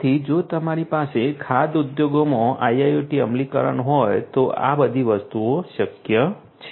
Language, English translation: Gujarati, So, all of these things are possible if you have IIoT implementation in the food industry